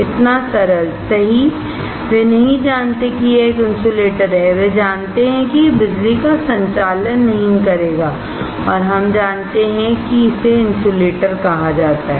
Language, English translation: Hindi, So simple, right, they do not know that it is an insulator, they know it will not conduct electricity, and we know it is called insulator